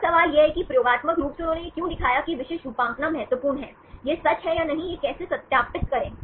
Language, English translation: Hindi, Now, the question is why experimentally they showed that this specific motif that is important, that is true or not, how to verify